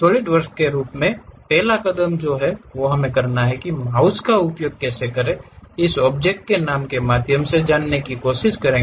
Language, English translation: Hindi, The first step as Solidworks what we have to do is using mouse try to go through this object name New